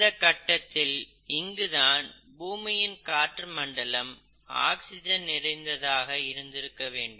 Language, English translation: Tamil, So it is at this point somewhere in earth’s life that the earth’s atmosphere became highly oxidate